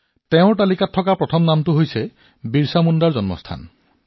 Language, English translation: Assamese, The first name on his list is that of the birthplace of Bhagwan Birsa Munda